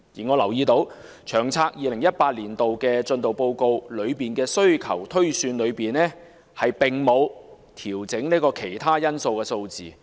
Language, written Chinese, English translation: Cantonese, 我留意到，在報告的需求推算中，並沒有調整"其他因素"的數字。, I have noticed that the figure for miscellaneous factors was not adjusted in the demand projection in the report